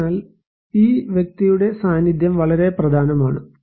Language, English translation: Malayalam, So, the presence of this person is very important